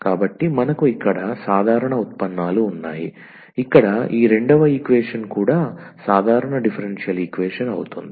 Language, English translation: Telugu, So, we have the ordinary derivatives here the second equation this is also the ordinary differential equation